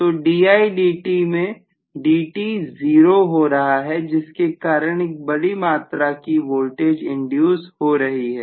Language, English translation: Hindi, So di by dt, dt become literally 0 because of which I have huge amount of voltage induced, right